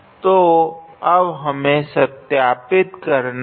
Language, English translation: Hindi, So, now, we have to verify